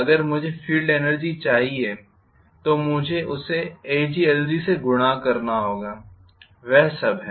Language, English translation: Hindi, If I want the full field energy I have to multiply that by ag times lg,that’s all,right